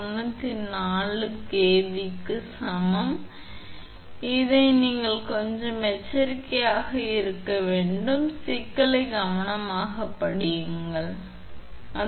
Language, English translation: Tamil, 94 kV peak value you have to be little bit cautious about this read the problem carefully and accordingly you have to do